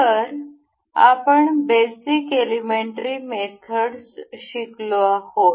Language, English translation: Marathi, So, we have learnt we have learnt the basic methods